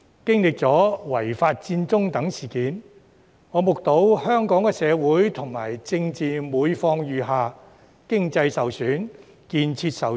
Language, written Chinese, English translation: Cantonese, 經歷了違法佔中等事件，我目睹香港的社會及政治狀況每況愈下，經濟受損丶建設受阻。, Having undergone such incidents as the illegal Occupy Central Hong Kong as I witnessed has found its social and political situation worsening with its economy undermined and development hindered